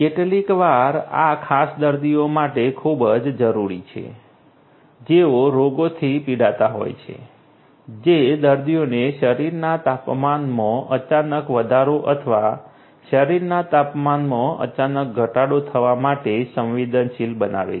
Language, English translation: Gujarati, This sometimes is very much required particular patients who are suffering from diseases which make the patients vulnerable to sudden increase in the body temperature or sudden decrease in the body temperature